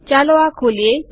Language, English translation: Gujarati, Lets open this up